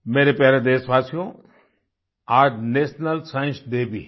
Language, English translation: Hindi, today happens to be the 'National Science Day' too